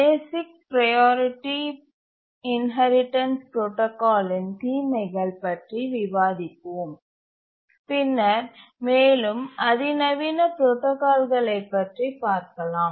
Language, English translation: Tamil, Now let's first identify these disadvantages of the basic priority inheritance protocol, then we'll look at more sophisticated protocols